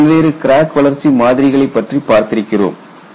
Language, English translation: Tamil, We have seen several crack growth models